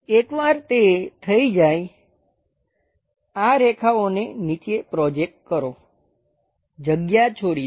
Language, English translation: Gujarati, Once that is done; project these lines all the way down, leave a gap